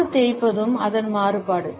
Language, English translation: Tamil, The ear rub is also a variation of it